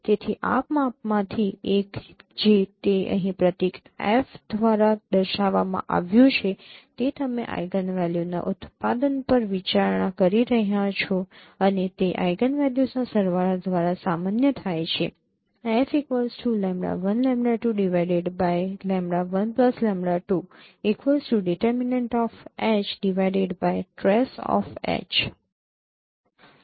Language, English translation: Gujarati, So one of this measure which has been shown here by the symbol F, that is you are considering the product of eigenvalues and which is normalized by the sum of the eigenvalues